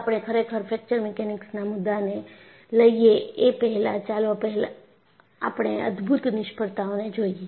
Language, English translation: Gujarati, Before we really take a fracture mechanics, let us look at the spectacular failures